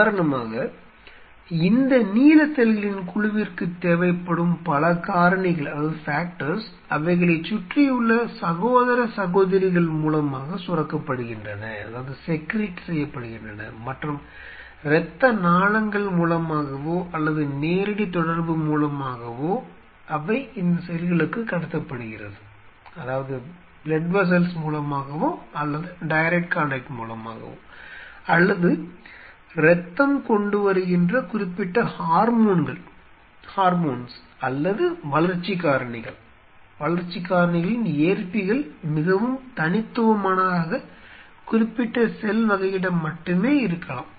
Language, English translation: Tamil, So, many of the factors which see for example, these colony of blue cells will be needing, they are surrounding brothers and sisters secrete those and through blood vessels or through direct contact, these are being you know transmitted to this cells or blood brings specific say hormones or growth factor whose receptors are very unique on specific cell type